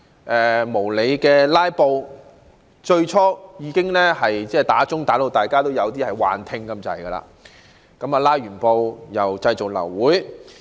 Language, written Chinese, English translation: Cantonese, 他們最初無理"拉布"時，傳召鐘鳴響至大家幾近出現幻聽，在"拉布"過後又製造流會。, When they filibustered for no good reason at the very beginning we almost developed auditory hallucination due to the incessant ringing of the summoning bell . After filibustering they attempted to effect an abortion of Council meetings